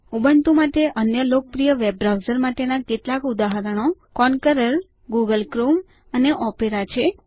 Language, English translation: Gujarati, Some examples of other popular web browsers for Ubuntu are Konqueror, Google Chrome and Opera